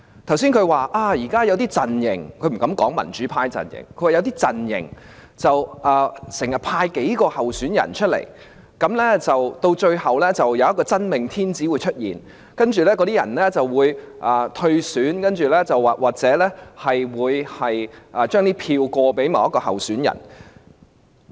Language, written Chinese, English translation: Cantonese, 他剛才說現在有些陣營——他不敢說是民主派陣營——經常派出數名候選人，到最後便會出現一位"真命天子"，而其他人則會退選或把選票轉移給該名候選人。, Just now he said that at present some camps―he dared not name the pro - democracy camp―would often field a few candidates and eventually the chosen one would emerge while others would withdraw or transfer their votes to that candidate